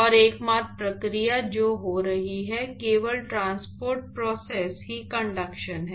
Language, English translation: Hindi, And the only process which is occurring, only transport process is conduction